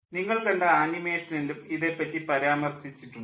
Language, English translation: Malayalam, this has been mentioned also in the animation you have seen